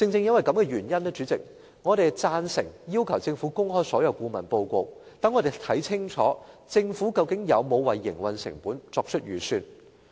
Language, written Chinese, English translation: Cantonese, 主席，正因如此，我們贊成要求政府公開所有顧問報告，讓我們看清楚政府究竟有否為營運成本作出預算。, President for this reason we support the request for disclosing all consultancy reports by the Government so that we can clearly see whether the Government has earmarked funds for the operating costs